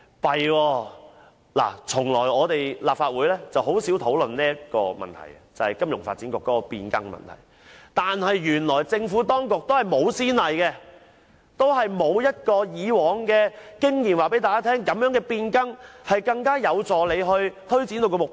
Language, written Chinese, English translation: Cantonese, 這樣便不行了，立法會甚少討論金發局營運方式變更的問題，但原來政府當局也沒有先例可循，沒法憑以往經驗印證這種變更能有助政府推展目標。, The transformation of the operation of FSDC has never been sufficiently discussed in the Legislative Council . Worse still with no precedent at all the Government is unable to draw from experience to prove that such a change can help it achieve its objectives